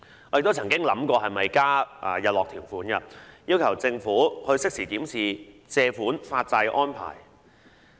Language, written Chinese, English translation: Cantonese, 我曾經考慮是否應加入日落條款，要求政府適時檢視借款發債的安排。, I have considered the need to add a sunset clause requesting the Government to examine the bond issuance arrangement on a regular basis